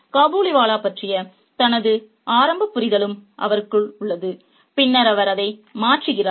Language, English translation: Tamil, He also has his initial understanding about the Kabiliwala which which he changes later on